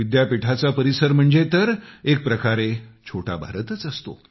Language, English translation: Marathi, University campuses in a way are like Mini India